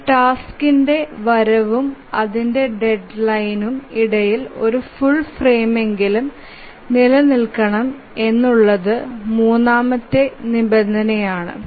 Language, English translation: Malayalam, And the third constraint that we would need is that between the release time of a task and the deadline of the task, there must be at least one frame